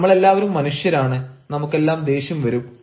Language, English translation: Malayalam, we are all human beings, we also become angry